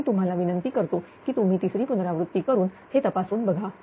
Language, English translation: Marathi, So, I will request you to make third iteration and check this